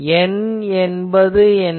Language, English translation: Tamil, This is N